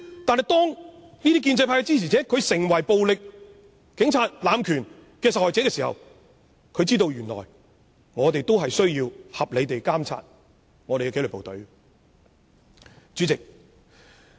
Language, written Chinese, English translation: Cantonese, 但是，當建制派支持者成為暴力警察濫權的受害者，他才知道有需要合理地監察紀律部隊。, Yet when this supporter of the pro - establishment camp became a victim of the abuse of power by violent police officers he realized that the disciplined service should be under proper monitoring